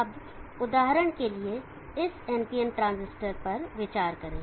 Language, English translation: Hindi, Now consider for example this ND and transistor